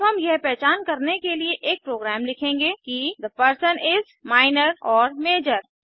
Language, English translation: Hindi, we will now write a program to identify whether the person is Minor or Major